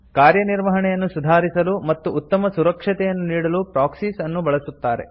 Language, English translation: Kannada, Proxies are used to improve performance and provide better security